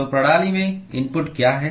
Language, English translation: Hindi, So, what is the input to the system